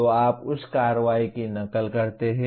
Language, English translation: Hindi, So you mimic that action